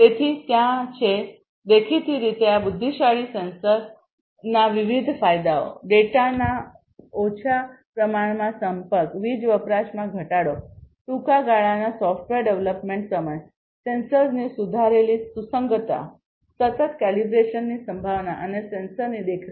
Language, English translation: Gujarati, So, there are; obviously, different advantages of these intelligent sensors in terms of reduced data communication, reduced power consumption, shorter software development time, improved compatibility of sensors, possibility of continuous collaboration sorry calibration and monitoring of the sensors